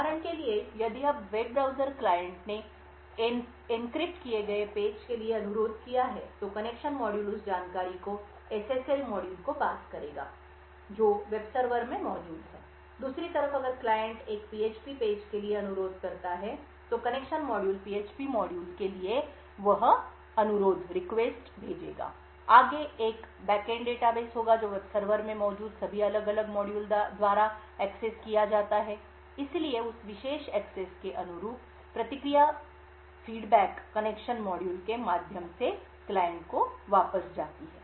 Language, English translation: Hindi, So for example if the web browser client has requested for a encrypted page then the connection module would pass that information to the SSL module which is present in the web server, on the other hand if the client requested for a PHP page then the connection module would send that request to the PHP module, further there would be one back end database which is accessed by all the different modules present in the web server, so corresponding to that particular access, the response goes back to the client through the connection module